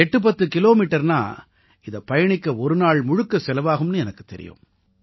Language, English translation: Tamil, I know that 810 kilometres in the hills mean consuming an entire day